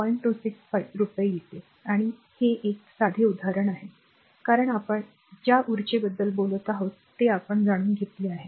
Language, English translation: Marathi, 265 per kilowatt hour and this is simple example, because we have taken know that energy we are talking of